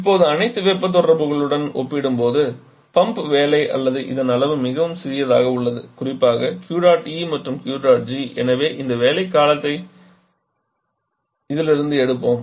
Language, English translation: Tamil, Now the pump work or the magnitude of this is very small compared to all the heat interaction the Q dot E and Q dot G particularly so let us remove this one from this